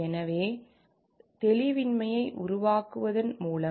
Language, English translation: Tamil, So, by creating ambiguity